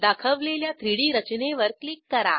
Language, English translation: Marathi, Click on the displayed 3D structure